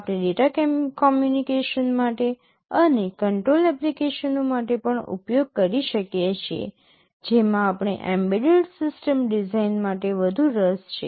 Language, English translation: Gujarati, We can use for data communication and also for control applications, which we would be more interested in for embedded system design